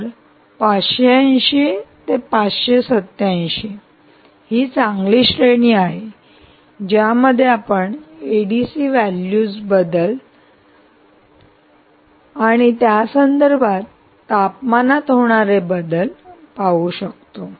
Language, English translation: Marathi, so five hundred and eighty to five hundred and eighty seven was a nice range over which we were able to see the change in a d c values with respect to the change in temperature